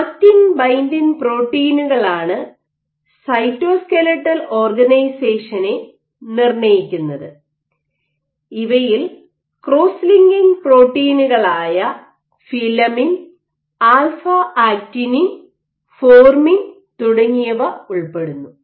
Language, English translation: Malayalam, Cytoskeletal organization is also dictated by actin binding proteins by actin binding proteins, these would include cross linking actin cross linking proteins like filamin, alpha actinin, formin etcetera ok